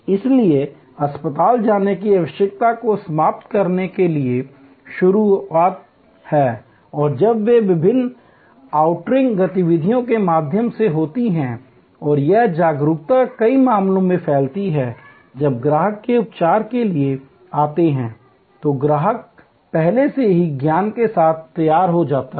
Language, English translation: Hindi, So, the start to eliminate the need to visit the hospital and when through the various outreach activities they have and this awareness spreading sections in many cases, when the customer arrives for the treatment, the customer as already come prepared with fore knowledge